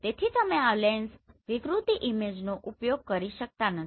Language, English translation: Gujarati, So you cannot really use this lens distortion image